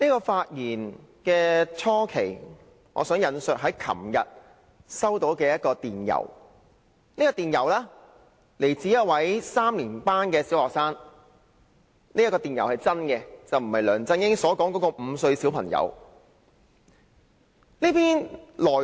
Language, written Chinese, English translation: Cantonese, 發言開始時，我想先引述昨天收到的一封電郵來信，來自一位3年級小學生——這封電郵是真實的，並非如梁振英曾引述的5歲小朋友來信。, To begin my speech I would like to quote an email addressed to me by a Primary Three student yesterday . It is a genuine email unlike the letter from a five - year - old LEUNG Chun - ying once quoted